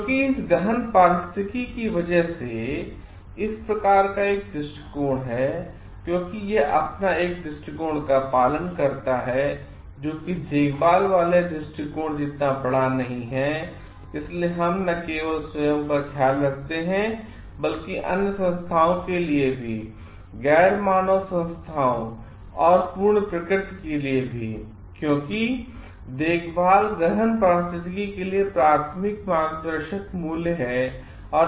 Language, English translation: Hindi, Because of this eco deep ecology, because it is follows an approach; which is a short of caring approach, we care not only for our own self, but also we to care for other entities also the total nature and other non human entities because care is the primary guiding value for deep ecology